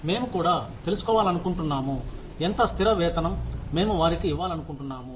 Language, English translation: Telugu, We also want to find out, how much of fixed pay, we want to give them